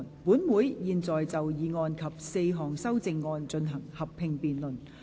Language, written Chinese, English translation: Cantonese, 本會現在就議案及4項修正案進行合併辯論。, This Council will now proceed to a joint debate on the motion and the four amendments